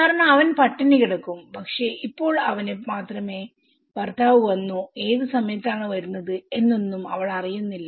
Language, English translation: Malayalam, Because he will be starving but now he can only, she cannot see whether the husband is coming at what time is coming